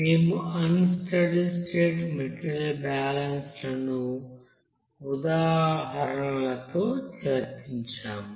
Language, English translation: Telugu, And also we have discussed those unsteady state material balance with examples